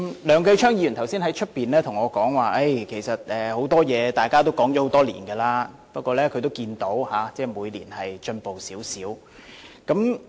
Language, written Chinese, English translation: Cantonese, 梁繼昌議員剛才在外面對我說，其實就很多事情，大家都討論了很多年，他也看到每年都有少許進展。, Mr Kenneth LEUNG was talking to me outside earlier that many issues have been under our discussion for many years and he could see that little progress was made each year